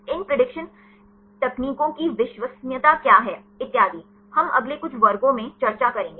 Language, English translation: Hindi, What is the reliability of these prediction techniques and so on; that we will discuss in the next following couple of classes